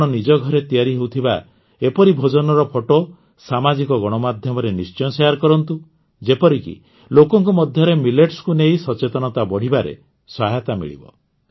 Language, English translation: Odia, You must share the pictures of such delicacies made in your homes on social media, so that it helps in increasing awareness among people about Millets